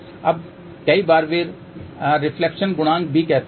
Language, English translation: Hindi, Now, many a times they also say reflection coefficient